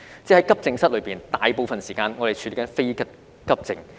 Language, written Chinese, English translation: Cantonese, 即在急症室內，我們大部分時間是在處理非急症。, In other words in AE departments we spend most of the time on non - urgent patients